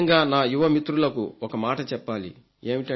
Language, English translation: Telugu, I especially want to make a point to my young friends